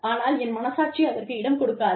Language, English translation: Tamil, And, my conscience, does not permit it